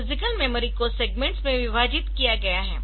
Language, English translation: Hindi, So, physical memory is divided into segments